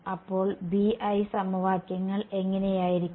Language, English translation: Malayalam, So, what will the BI equations look like